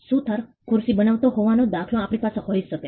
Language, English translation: Gujarati, We could have the example of a carpenter creating a chair